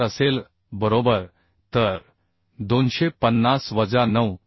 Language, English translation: Marathi, 4 right So 250 minus 9